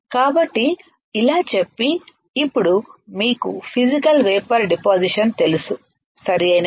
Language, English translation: Telugu, So, having said that, now you guys know physical vapor deposition, right